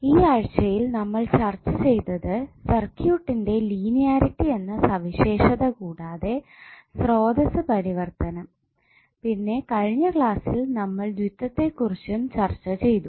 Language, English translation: Malayalam, Namaskar, So in this week, we discuss about linearity of the circuit and then we discuss about the source transformation and in last class we discuss about duality